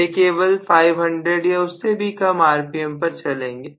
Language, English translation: Hindi, They will run only around 500 or even less rpm